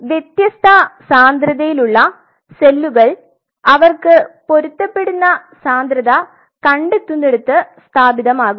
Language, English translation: Malayalam, Now the cells of different densities are going to settle down where they find their matching density